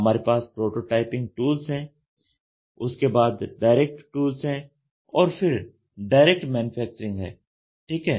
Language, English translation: Hindi, We have prototyping tools then we have direct tools I have direct manufacturing ok